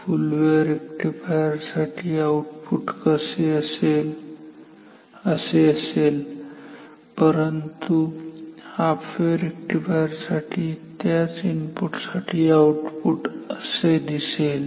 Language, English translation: Marathi, For full wave rectifier the output will be like this; but for half wave rectifier for the same input it will look like this